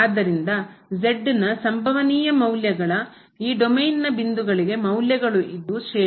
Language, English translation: Kannada, So, the values of the possible values of for the points from this domain, is the Range